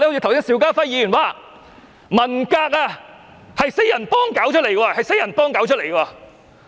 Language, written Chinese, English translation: Cantonese, 剛才邵家輝議員說，文革是四人幫搞出來。, Mr SHIU Ka - fai has said just now that the Cultural Revolution was the product of the Gang of Four